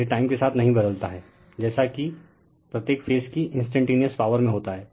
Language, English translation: Hindi, It does not change with time as the instantaneous power of each phase does